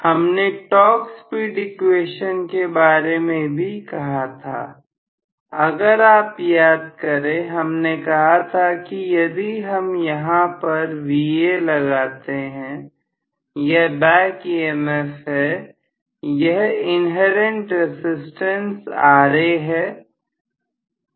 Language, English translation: Hindi, We also talked about the Torque Speed Equation, if you may recall, we said, if we area applying Va here, this is the back EMF and inherent resistances Ra